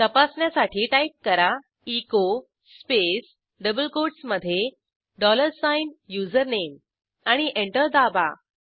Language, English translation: Marathi, Type echo space within double quotes dollar sign HOME Press Enter